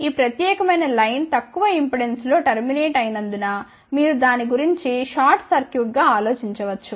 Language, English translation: Telugu, Since this particular line is terminated in a relatively low impedance you can think about that as a short circuits